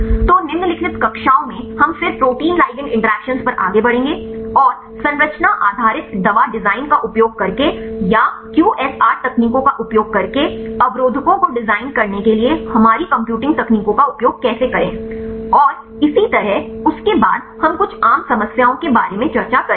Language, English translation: Hindi, So, in the following classes we will then move on to the protein ligand interaction and how to use our computing techniques for designing the inhibitors using structure based drug design or using the QSAR techniques and so on and after that we will discuss about some of the common problems and how to approach the problems using bioinformatics approaches